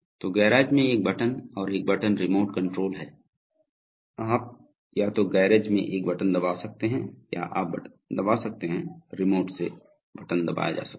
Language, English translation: Hindi, So there is a single button in the garage and a single button remote control, so you can have either a button pressed in the garage or you can have a button press in, button pressed from the remote